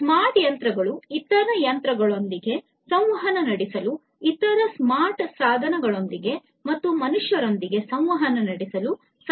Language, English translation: Kannada, Smart machines help in communicating with other machines, communicating with other smart devices, and communicating with humans